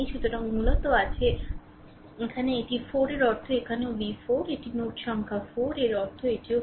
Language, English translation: Bengali, So, basically here it is 4 means here also it is v 4, if it is node number 4 means this is also 4 right